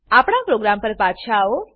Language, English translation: Gujarati, Come back ot our program